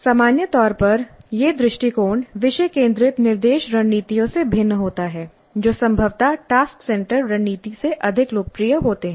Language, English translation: Hindi, This is different in general, this approach is different from topic centered instructional strategies which is probably more popular than task centered strategy